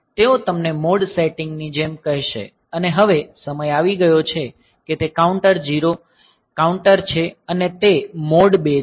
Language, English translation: Gujarati, So, they will tell you like the mode setting and so, it is time it is a counter now and it is mode 2